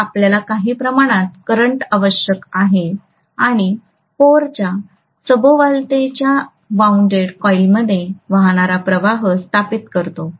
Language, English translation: Marathi, So you need some amount of current and that current flowing through the coil wound around the core is establishing the flux